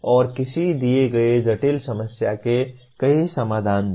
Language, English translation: Hindi, And give multiple solutions to a given complex problem